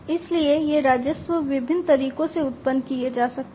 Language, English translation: Hindi, So, these revenues could be generated in different ways